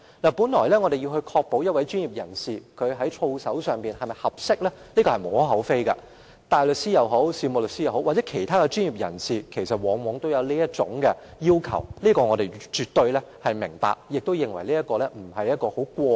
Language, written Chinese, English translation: Cantonese, 我們要確保一名專業人士在操守方面是否合適是無可厚非的，無論是大律師、事務律師或是其他專業人士亦然，他們往往要面對這種要求，而我們亦絕對明白，也不會認為這是過分的要求。, It is well justified that we have to ensure the conduct of a professional be he a barrister a solicitor or a professional of other specialty . Such a requirement is very common . We absolutely understand the necessity of imposing this requirement and will not consider it too stringent